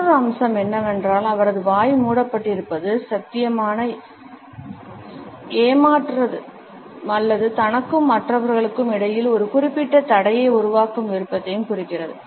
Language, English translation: Tamil, Another aspect is that his mouth has been covered which is indicative of a possible deception or a desire to create a certain barrier between himself and the other people